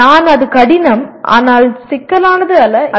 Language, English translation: Tamil, I may or I would consider it is difficult but not complex